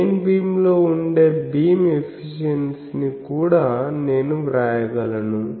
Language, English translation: Telugu, So, I can also write beam efficiency that will be power in the main beam